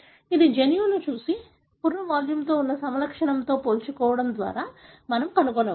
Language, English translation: Telugu, This is by looking at the genome and comparing it with a property that is skull volume